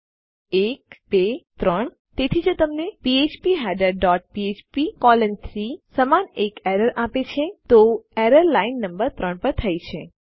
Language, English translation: Gujarati, 1, 2, 3 so if it gives you an error like phpheader dot php colon 3, then the error has occurred on the line no